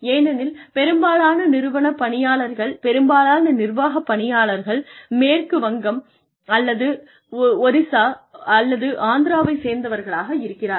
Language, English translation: Tamil, So, why because, most people here in the institute, most people in the administration, belong to, either West Bengal, or Orissa, or Andhra Pradesh